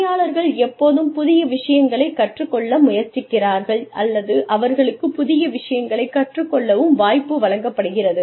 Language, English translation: Tamil, And, people are always trying to learn new things, or, they are given the opportunity to learn new things